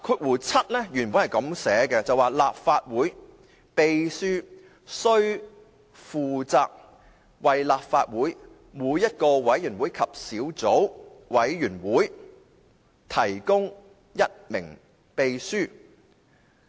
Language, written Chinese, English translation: Cantonese, 現行的第67條是："立法會秘書須負責為立法會每一個委員會及小組委員會提供一名秘書。, The existing RoP 67 reads The Clerk shall be responsible for providing every committee and subcommittee of the Council with a clerk